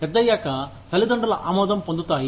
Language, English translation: Telugu, Being grown up, they get the approval of the parents